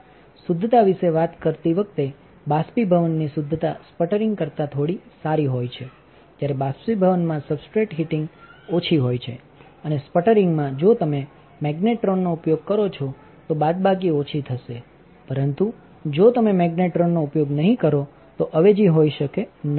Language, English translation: Gujarati, When talking about purity, the purity of the evaporation is little bit better than sputtering while the substrate heating in the evaporation is less and in a sputtering if you use magnetron, the subtracting would be less but if you do not use magnetron the substituting would be substantial